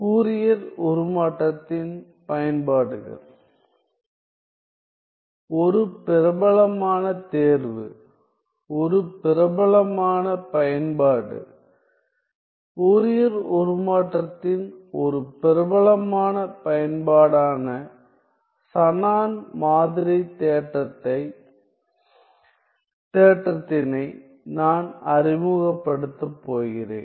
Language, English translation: Tamil, Then I am going to introduce, a popular exam; a popular application, a popular application of Fourier transform namely the Shannon sampling theorem